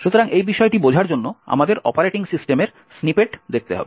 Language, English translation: Bengali, we have to look at snippets of the operating system